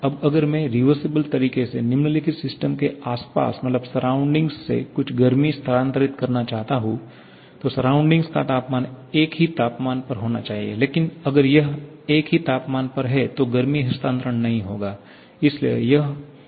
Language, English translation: Hindi, Now, if I want to transfer some heat from the surrounding to the system following a reversible manner, then the surrounding has to be at the same temperature, but if it is at the same temperature then there will be no heat transfer